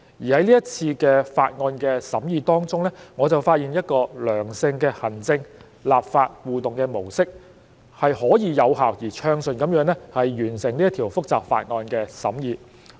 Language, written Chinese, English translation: Cantonese, 在這次的法案審議工作當中，我就發現了一個良性的行政立法互動模式，是可以有效而暢順地完成這一項複雜法案的審議工作。, During the scrutiny of this Bill I have identified a constructive mode of interaction between the executive authorities and the legislature which has enabled us to complete the scrutiny of this complicated Bill in an effective and smooth manner